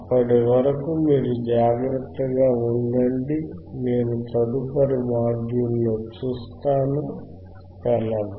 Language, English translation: Telugu, Till then, you take care, I will see in next module bye